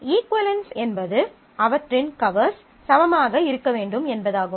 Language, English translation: Tamil, So, equivalence mean that their covers will have to be equal